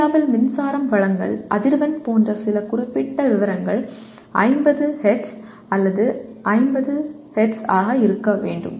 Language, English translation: Tamil, Some specific details like power supply frequency in India is 50 Hz or it is supposed to be 50 Hz